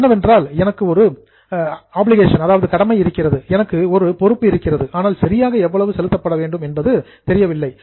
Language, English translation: Tamil, That means I know there is an obligation, I know there is a liability, but I don't know exactly how much should be payable